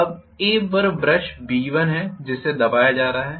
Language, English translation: Hindi, Now on A there is brush B1 which is being pressed